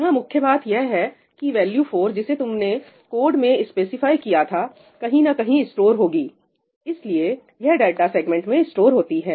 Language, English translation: Hindi, The point here is that the value 4 that you have specified in your code has to be stored somewhere